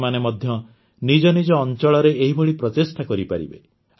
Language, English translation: Odia, You too can make such efforts in your respective areas